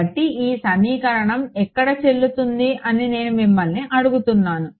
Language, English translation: Telugu, So, if I ask you: where all is this equation valid